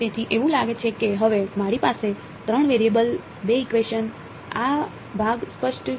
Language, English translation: Gujarati, So, it seems like, now I have three variables two equations this part clear